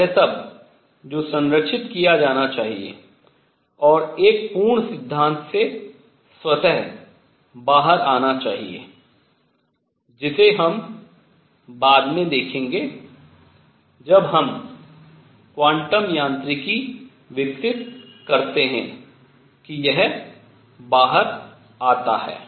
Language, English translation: Hindi, All that should be preserved and should come out automatically from a complete theory, which we will see later when we develop the quantum mechanics that it does come out